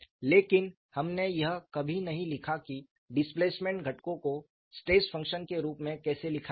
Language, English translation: Hindi, But we never wrote how to write the displacement components in terms of stress function that is the difference